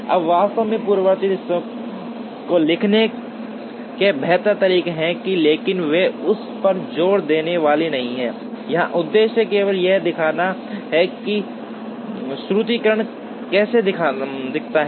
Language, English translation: Hindi, Now, there are actually better ways of writing the precedence relationships, but they are not going to emphasize on that, the purpose here is only to show how the formulation looks like